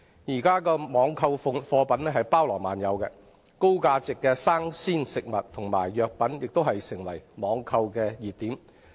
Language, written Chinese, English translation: Cantonese, 現時網購貨品包羅萬有，高價值的生鮮食物和藥品亦成為網購熱品。, At present a large variety of products are available for online shopping and among the hot items are high - value rawfresh food and pharmaceuticals